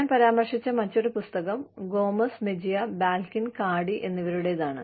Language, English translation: Malayalam, The other book, that I have refer to is, by Gomez Mejia, Balkin and Cardy